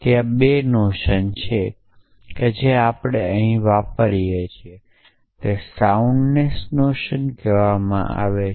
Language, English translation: Gujarati, So, there are 2 notions that we use here one is the notion of soundness